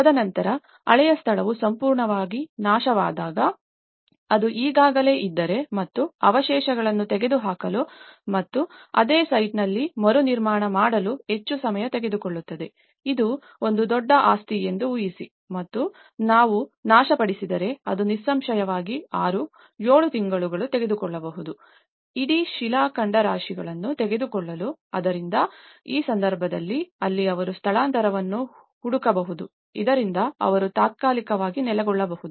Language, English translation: Kannada, And then when the old location is completely destroyed, if it is already and therefore to remove the debris and rebuild on the same site will take too much of time, imagine it is a huge property and you destroyed, it obviously may take 6, 7 months to take the whole debris so, in that case, that is where they can look for a relocation, so that they can temporarily be located